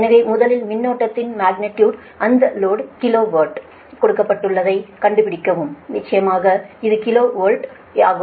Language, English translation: Tamil, so first you find out that magnitude of the current, it is load, is given at kilo watt and this is kilo volt of course